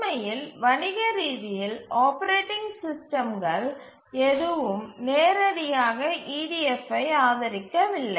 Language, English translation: Tamil, In fact, as we shall look at the commercial operating system, none of the commercial operating system directly supports EDF